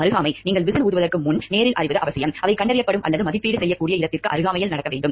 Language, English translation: Tamil, Proximity; firsthand knowledge is essential before you blow the whistle, the thing should be happening in proximity from they can be detected or evaluated